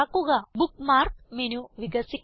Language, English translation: Malayalam, The Bookmark menu expands